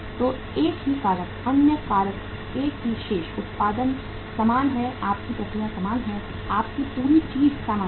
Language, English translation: Hindi, So one single factor, other factors remaining the same; production is same, your uh processes are same, your entire thing is same